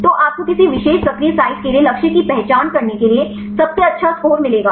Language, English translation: Hindi, So, you will find the best score to identify the target for any particular active site